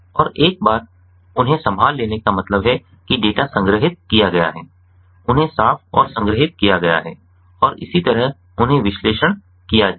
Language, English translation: Hindi, and once they are handled, that means the data have been stored, they have been, they have been cleaned and stored, ah and so on